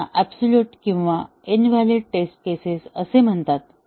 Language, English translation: Marathi, These are called as the obsolete or invalid test cases